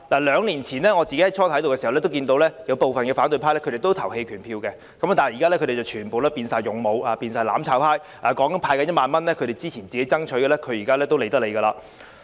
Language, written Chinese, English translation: Cantonese, 兩年前，我剛加入立法會時，看見部分反對派會投棄權票，但他們現已全部變成"勇武"、"攬炒派"，即使是他們之前爭取的1萬元，現在也懶得理。, When I first joined the Legislative Council two years ago some members from the opposition abstained from voting but now they have all become the valiant and the mutual destruction camp who do not even care about the 10,000 payout which they have strived for before